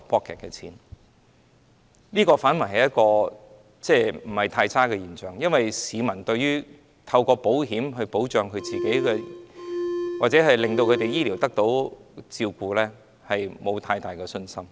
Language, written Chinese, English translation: Cantonese, 這反而是一種不太差的現象，因為市民對於透過保險來保障自己或應付他們的醫療需要，並沒有太大的信心。, out of their own pocket . But this is not a bad phenomenon at all because the people do not have great confidence in protecting themselves or dealing with their health care needs through insurance